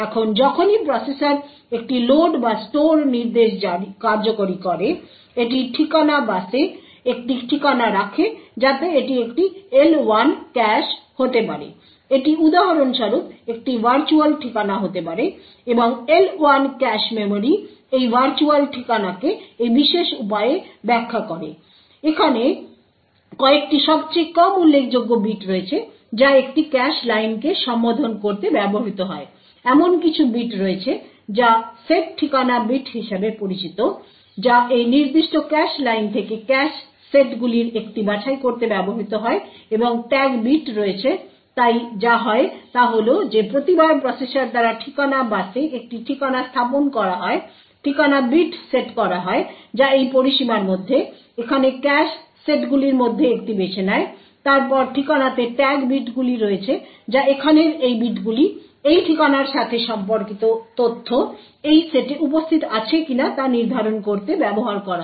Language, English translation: Bengali, or a store instruction it puts out an address on the address bus so this could be in an L1 cache this for example would be an a would be a virtual address and the cache memory the L1 cache memory interprets this virtual address in this particular way, there are a few bits are the most least least significant bits which are used to address a cache line, there are bits which are known as the set address bits which are used to pick one of the cache sets from this particular cache line and, there are the tag bits so what happens is that every time an address is put on the address bus by the processor the set address bits that is this range over here chooses one of these cache sets then the tag bits in the address that is these bits over here is used to determine if the data corresponding to this address is present in this set now if indeed is present we get what is known as a cache hit and the data corresponding to that address is fetched from that corresponding cache line on the other hand if you do not find that tag present in any of these cache lines corresponding to that set then we say that there is a cache miss